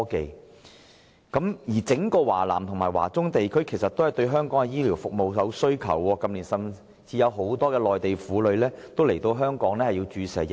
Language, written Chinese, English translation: Cantonese, 事實上，整個華南和華中地區均對香港的醫療服務有需求，近年甚至有很多內地婦女來港注射疫苗。, As a matter of fact the entire South China and Central China have great demand for Hong Kongs health care services where many Mainland women have even come to Hong Kong for vaccination in recent years